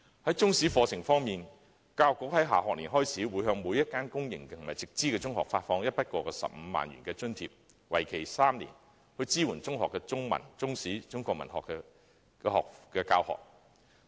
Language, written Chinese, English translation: Cantonese, 在中史課程方面，教育局在下學年開始，會向每所公營及直資中學發放一筆過15萬元的津貼，為期3年，以支援中學的中文、中史及中國文學科的教學。, Insofar as the Chinese History curriculum is concerned starting from the next school year each public sector and Direct Subsidy Scheme secondary school will be given a one - off subsidy of 150,000 over a three - year period for supporting the teaching of Chinese Language Chinese History and Chinese Literature subjects in secondary schools